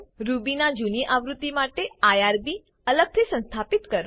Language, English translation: Gujarati, For older version of Ruby, install irb separately